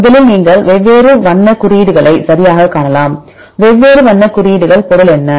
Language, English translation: Tamil, Right first you can see the different color codes right; what is the meaning of different color codes; what is the meaning of blue color here